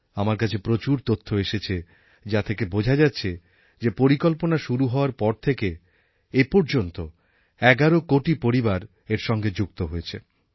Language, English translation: Bengali, The preliminary information that I have, notifies me that from launch till date around 11 crore families have joined this scheme